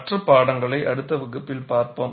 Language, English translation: Tamil, We would see that in the next class